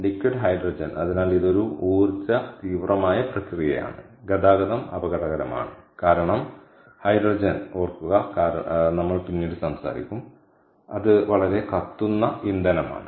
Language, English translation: Malayalam, so this is an energy intensive process and transport is hazardous because hydrogen again, keep in mind as we will talk later is a highly combustible fuel